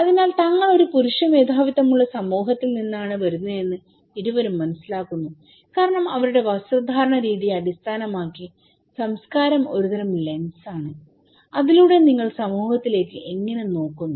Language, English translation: Malayalam, So, both of them is perceiving that they are coming from a male dominated society because based on their dress pattern, okay so, culture is a kind of lens through which you look into the society how it is okay